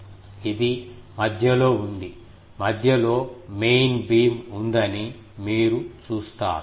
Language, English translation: Telugu, You see that it was in between, the main beam was in between